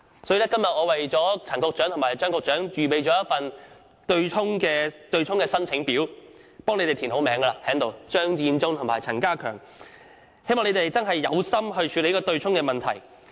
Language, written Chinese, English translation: Cantonese, 我今天特意為陳局長和張局長預備了一份"對沖申請表"，並已填上他們的名字，希望他們決心處理強積金對沖問題。, Today I have prepared a form for applying for offsetting particularly for Secretary Matthew CHEUNG and Secretary Prof K C CHAN . I have filled in their names and I hope they will act determinedly to address the problem involving the MPF offsetting arrangement